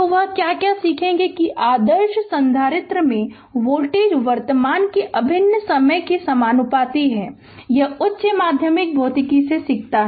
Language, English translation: Hindi, So, what that we will learn that the voltage across the ideal capacitor is proportional to the time integral of the current, this you have learn also from your high secondary physics